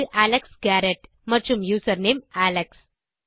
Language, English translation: Tamil, So thats Alex Garrett and username alex